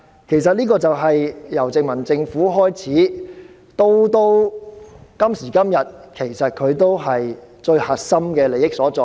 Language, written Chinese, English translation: Cantonese, 這情況由殖民政府開始，直到今時今日，仍是核心利益所在。, This situation which started in the time of the colonial government continues today and this is where the core interests lie